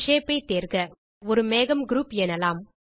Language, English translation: Tamil, Select a shape say a cloud group